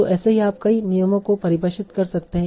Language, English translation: Hindi, So like that you can also define many such rules